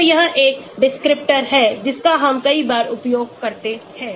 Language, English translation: Hindi, So, this is a descriptor which we use many times